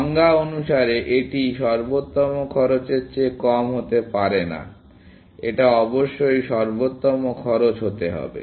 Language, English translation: Bengali, By definition, it cannot be less than optimal cost; it must be the optimal cost